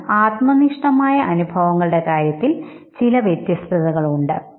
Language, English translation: Malayalam, But then in terms of subjective experience they are unique